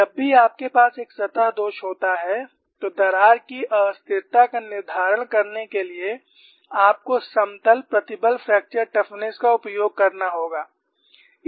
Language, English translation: Hindi, Whenever you have a surface flaw, for you to determine crack instability, you will have to use the plane strain fracture toughness